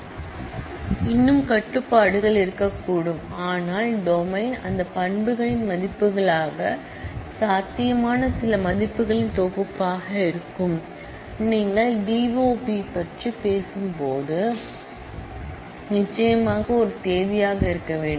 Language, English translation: Tamil, There could be more restrictions, but that the domain will be certain collection of values which are possible as values of that attribute, when you talk about D o B that certainly has to be a date